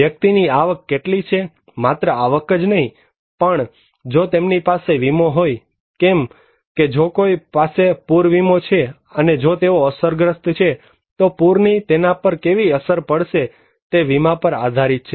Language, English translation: Gujarati, How much the person's income has, not only income, but also if they have insurance like if someone has flood insurance so if they are affected, and how they will be impacted by the flood, it depends on insurance